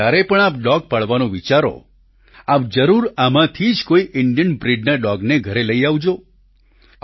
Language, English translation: Gujarati, The next time you think of raising a pet dog, consider bringing home one of these Indian breeds